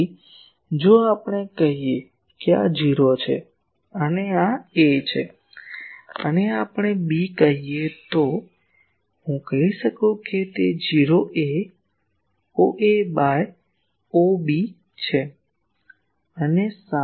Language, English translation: Gujarati, So, if we say that this is O and this is A, and this is let us say B